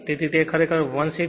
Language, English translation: Gujarati, Therefore it is actually 16